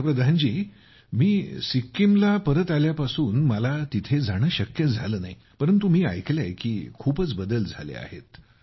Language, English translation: Marathi, Ji Prime Minister ji, I have not been able to visit since I have come back to Sikkim, but I have heard that a lot has changed